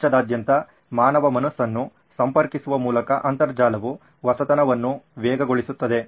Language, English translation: Kannada, The internet by connecting human minds all over the world, can only accelerate innovation